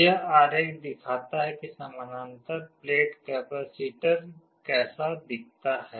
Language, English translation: Hindi, This diagram shows how a parallel plate capacitor looks like